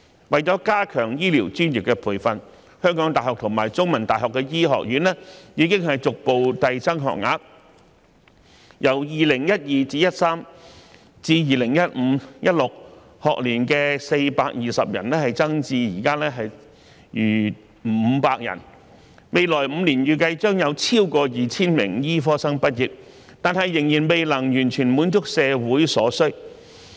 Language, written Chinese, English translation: Cantonese, 為了加強醫療專業培訓，香港大學和香港中文大學的醫學院已逐步遞增學額，由 2012-2013 學年至 2015-2016 學年的420人增至現時逾500人，未來5年預計將有超過 2,000 名醫科生畢業，但仍未能完全滿足社會所需。, To enhance medical professional training the University of Hong Kong HKU and The Chinese University of Hong Kong CUHK have increased the places in their medical schools gradually from 420 between the 2012 - 2013 and 2015 - 2016 school years to the present level of over 500 . However the expected supply of over 2 000 medical graduates in the next five years is still inadequate to fully meet the needs of society